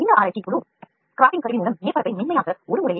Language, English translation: Tamil, This research team has developed a method to smoothen the surface with a scraping tool